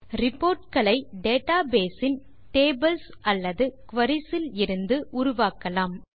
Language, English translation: Tamil, Reports can be generated from the databases tables or queries